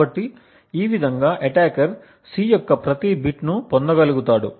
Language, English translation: Telugu, So, in this way the attacker could simply be able to obtain every bit of the secret C